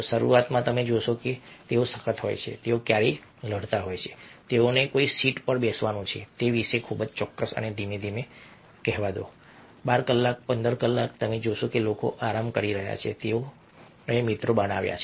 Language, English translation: Gujarati, initially, you find that their there are sometime fighting very particular about which seat they have to seaten and gradually, over a period of, let say, twelve hours, fifteen hours, you find that people are relaxing